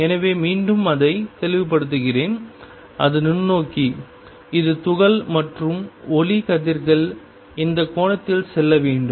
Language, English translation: Tamil, So, again let me make it to make it clear it is the microscope it is the particle and the light rays should go into this angle